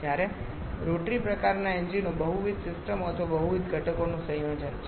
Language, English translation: Gujarati, Whereas rotary kind of SIS engines they are combination of multiple systems or multiple components